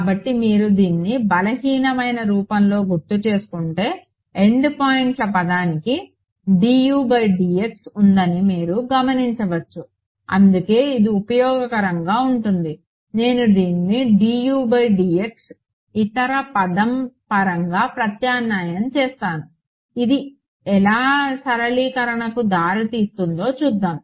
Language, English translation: Telugu, So, you notice if you recall over here this in the weak form the endpoints term has a d U by d x right that is why this is going to be useful I will substitute this d U by d x in terms of this other term over here we will see how it leads to simplifications